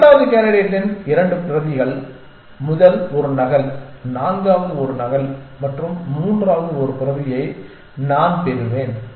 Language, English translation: Tamil, I will get 2 copies of the second candidate one copy of the first one copy of the fourth and none of the third one essentially